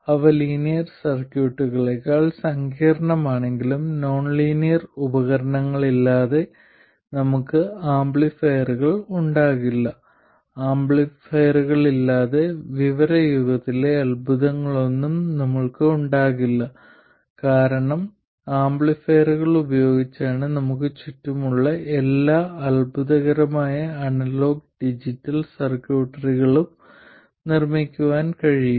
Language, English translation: Malayalam, Because without nonlinear devices we can't have any amplifiers and without amplifiers we can't have any of the wonders of the information age because it's with amplifiers that you can build all the wonderful analog and digital circuitry that are all around us